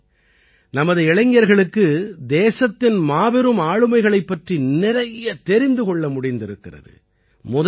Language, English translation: Tamil, During this, our youth got to know a lot about the great personalities of the country